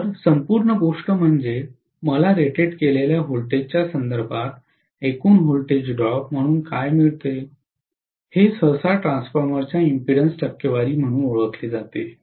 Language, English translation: Marathi, So this entire thing, what I get as the overall voltage drop with respect to the voltage rated, this is generally known as the percentage impedance of the transformer